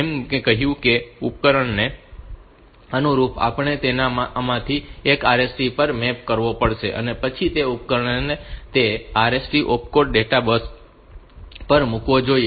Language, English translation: Gujarati, So, we have to map it onto one of these RST and then that device should put that RST opcode onto the data bus